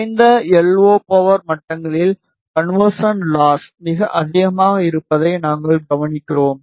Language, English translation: Tamil, We observe that at lower LO power levels, the conversion loss is very high